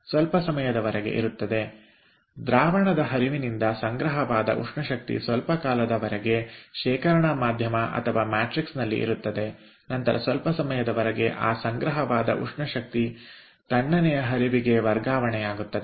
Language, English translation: Kannada, so for the time being, for some time there will be, for some time there will be heat, heat storage from a fluid steam to the, to the storage medium or matrix, and then for some time the stored heat will be transferred to the cold stream